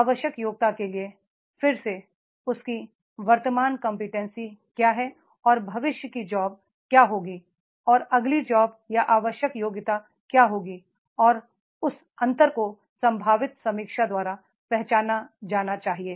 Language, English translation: Hindi, For the required competency again, what is his present competency and what will be the future job or what will be the next job or the required competency and that gap has to be identified by the potential review